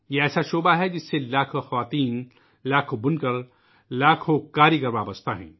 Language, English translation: Urdu, This is a sector that comprises lakhs of women, weavers and craftsmen